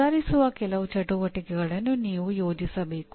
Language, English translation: Kannada, You have to plan some activities that will improve